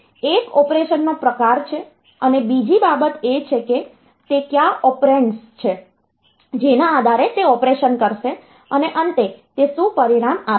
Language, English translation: Gujarati, So, one is the type of operation and another thing is on which, what are the operands on which it will do the operation and finally, what is the result that it produces